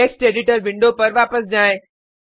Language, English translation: Hindi, Switch back to the Text editor window